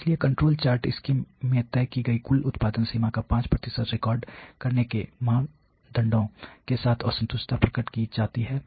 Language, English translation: Hindi, So, that is exactly complained with the norms of recording 5 percent of the total production limit as decided in the control charts scheme